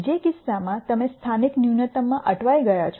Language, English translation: Gujarati, In which case you are stuck in the local minimum